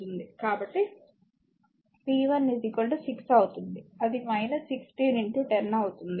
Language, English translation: Telugu, So, p 1 will is equal to 6 it will be minus 16 into 10